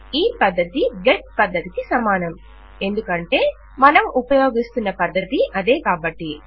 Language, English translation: Telugu, This method is going to equal get because thats the method were using